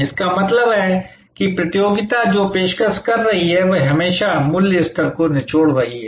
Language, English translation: Hindi, That means, what the competition is offering that is always squeezing the price level